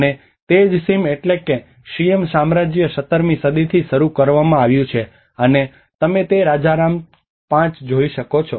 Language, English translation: Gujarati, And that is where the Siam which is the Siam kingdom has been started from 17th century, and you can see that king Rama 5